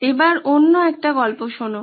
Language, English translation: Bengali, Time for another story